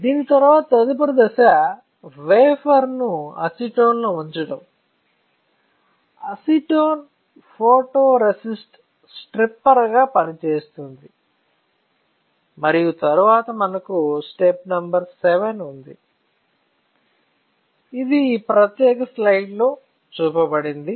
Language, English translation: Telugu, After this the next step will be to dip the wafer in acetone; acetone will act as a photoresistor stripper and then we have step number VII or step number III which is shown in this particular slide all right